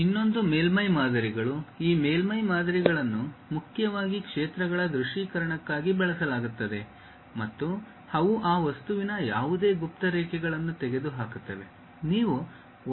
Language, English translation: Kannada, This surface models are mainly used for visualization of the fields and they remove any hidden lines of that object